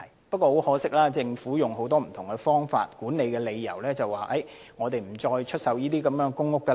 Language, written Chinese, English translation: Cantonese, 不過，很可惜，政府以管理等為理由表示現時不再出售公屋。, Regrettably however the Government has indicated that no further PRH units will be sold for reasons of management etc